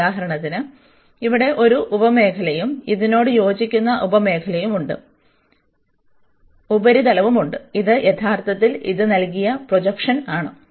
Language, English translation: Malayalam, And this consider for example, one sub region here and these corresponding to this we have the surface here, which is actually the projection given by this one